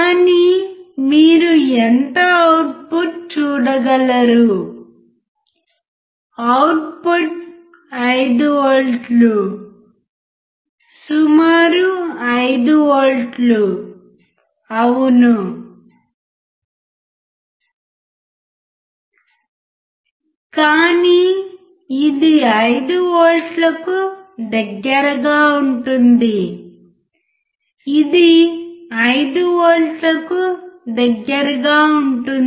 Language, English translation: Telugu, But what is the output what is the output you can see output is of 5 volts right we have 5 volts is it 5 volts; approximately 5 volts yeah, but it is close to 5 volts it is close to 5 volts